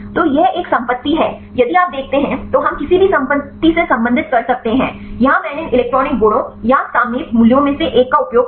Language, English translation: Hindi, So, this is one property if you see that then we can relate any property; here I used one of these electronic properties or the topological values